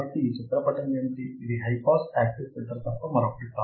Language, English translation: Telugu, So, what is this figure, this is nothing but my high pass active filter